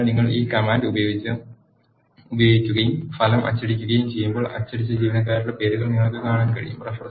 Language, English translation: Malayalam, So, when you use this command and print the result you can see the names of the employees that are printed